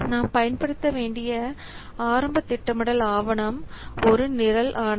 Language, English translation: Tamil, So the initial planning document that we have to use each program mandate